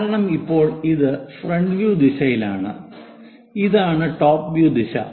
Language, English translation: Malayalam, because this is front view, this is top view